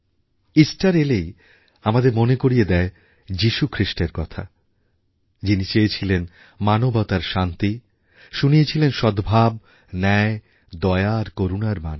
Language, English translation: Bengali, The very mention of Easter reminds us of the inspirational preaching of Lord Jesus Christ which has always impressed on mankind the message of peace, harmony, justice, mercy and compassion